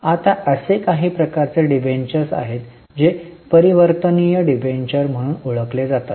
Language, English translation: Marathi, Now there are certain types of debentures which are known as convertible debentures